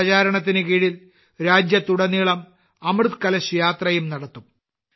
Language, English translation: Malayalam, Under this campaign, 'Amrit Kalash Yatra' will also be organised across the country